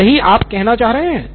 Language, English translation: Hindi, That is what you are saying